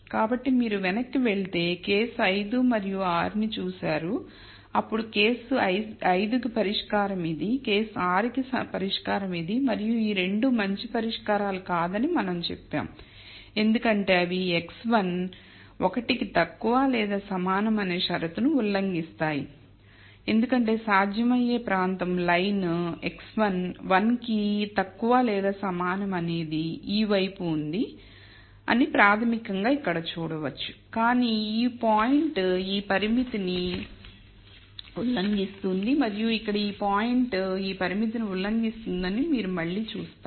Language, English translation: Telugu, So, if you go back I think we looked at case 5 and 6 then the solution for case 5 is this, the solution for case 6 is this and we said these two are not good solutions because they violate the condition x 1 is less than equal to 1 which basically seen here because the feasible region is to this side of line x 1 is less than equal 1, but this point is violating this constraint and here again you see that this point is violating this constraint